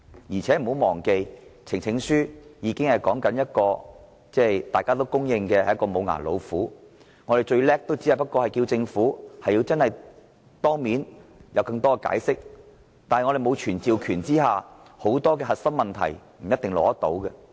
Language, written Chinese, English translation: Cantonese, 大家不要忘記，藉呈請書成立的專責委員會是公認的"無牙老虎"，最多只能要求政府當面作進一步解釋，在沒有傳召權的情況下，很多核心問題也未必能夠取得答案。, Please do not forget that a select committee formed by way of a petition is known to be a toothless tiger . It can at most ask the Government to come to the Council for a more detailed explanation . As it does not have the summoning power it may eventually fail to obtain answers for many crucial questions